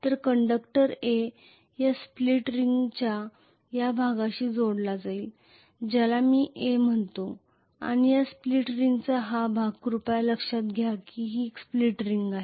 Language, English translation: Marathi, So conductor A will be connected to this portion of this split ring which I am calling as A and this portion of this split ring please note this is split ring